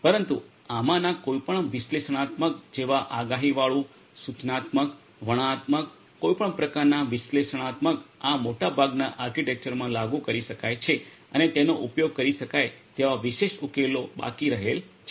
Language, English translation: Gujarati, But any of these analytics like the predictive, prescriptive, descriptive any kind of analytics could be implemented in most of these architectures and the specific solutions that could be used are left open